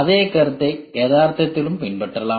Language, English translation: Tamil, The same concept can be followed in reality also